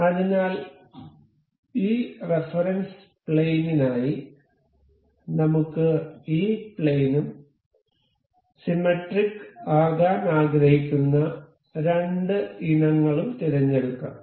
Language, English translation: Malayalam, So, for this plane of reference, let us just select say this plane and the two items that we want to be symmetric about, let us say this one and this